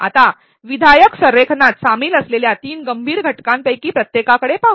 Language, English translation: Marathi, Now let us look at each of the three critical components involved in constructive alignment